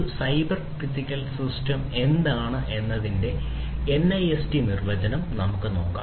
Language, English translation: Malayalam, So, let us look at the NIST definition of what a cyber physical system is